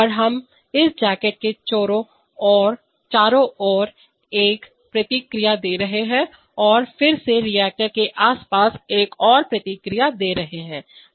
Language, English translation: Hindi, And we are giving a feedback around this jacket and again another feedback around the reactor